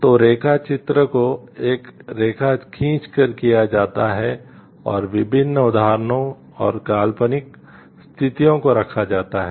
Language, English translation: Hindi, So, line drawing is performed by drawing a line along the various examples and hypothetical situations are placed